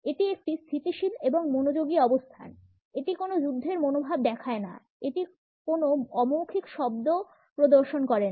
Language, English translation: Bengali, This is a stable and focus position it does not show any belligerence it also does not showcase any nonverbal noise